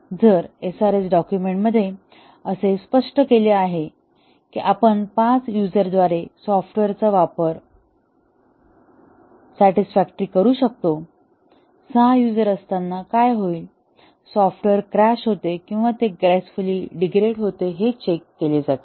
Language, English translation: Marathi, If the SRS document specifies that we could the software could be used by 5 users satisfactorily, we check what happens when there are 6 users, does the software crash or does it gracefully degrade